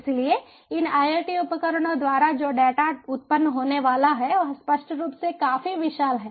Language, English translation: Hindi, so the amount of data that is going to be generated by these iot devices is obviously quite huge